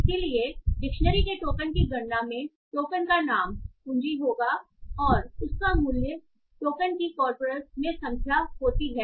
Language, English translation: Hindi, So, the dictionary token count will have the key as the token name and the value will be how many time that token occurs in the corpus